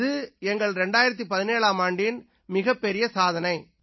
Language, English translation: Tamil, So, this is our achievement in 2017